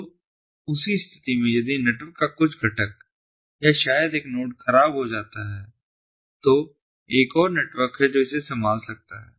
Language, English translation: Hindi, if some component of the network or maybe a node has gone down, there is another network that can take over